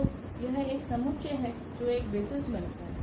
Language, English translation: Hindi, So, this is a set which form a basis we are writing a basis